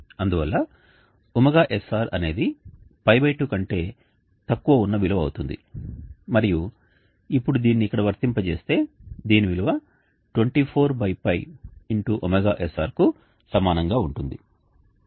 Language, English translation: Telugu, sr will be a value which is less than p/2 and now applying this here we will see that value is equal to 24/p